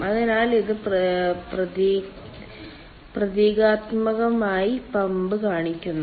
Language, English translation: Malayalam, so this shows symbolically the pump